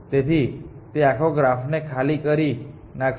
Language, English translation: Gujarati, So, it will exhaust the whole graph